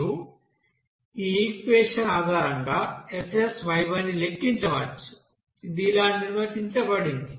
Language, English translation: Telugu, Similarly, SSyy you can calculate based on this equation which is defined as